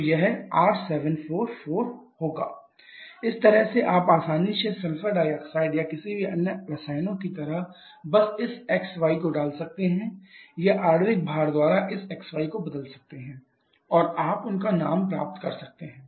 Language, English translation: Hindi, So, it will be R744 this way you can easily put something like sulphur dioxide or any other chemicals you can just put this xy or the replace this xy by the molecular weight and you can get their name